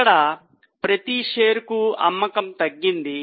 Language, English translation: Telugu, So, there is a fall in sale per share